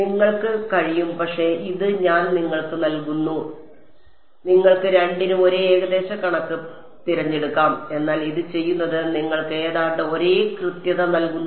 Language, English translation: Malayalam, You can, but it I am giving you even you can choose the same approximation for both, but it turns out that doing this gives you almost the same accuracy right